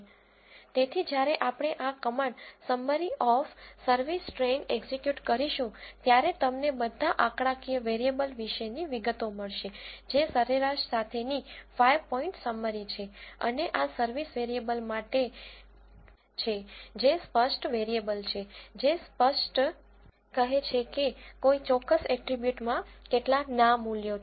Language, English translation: Gujarati, So, when we execute this command summary of service train, you will get the details about all the numeric variables which are 5 point summaries including mean and for the service variable which is the categorical variable it gives how many no’s are there in that particular attribute and how many yes values are there in that particular attribute